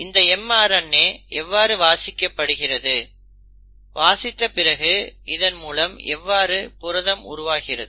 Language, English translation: Tamil, Now how is it that this mRNA is read, And having read how is it that the protein is synthesised